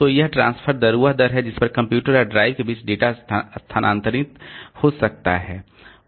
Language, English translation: Hindi, So, that is the transfer rate, the rate at which the data can move between the computer and the drive